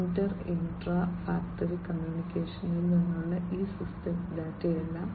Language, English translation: Malayalam, And all these data from inter , intra factory communication and so on